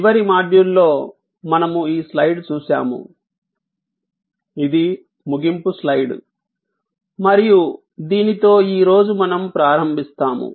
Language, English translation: Telugu, In the last module we had this slide, which was the ending slide and this is, where we start today